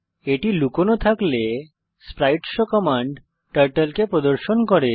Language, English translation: Bengali, spriteshow command shows Turtle if it is hidden